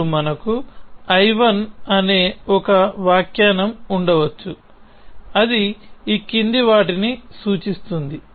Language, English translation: Telugu, Now, we can have one interpretation I 1, which does the following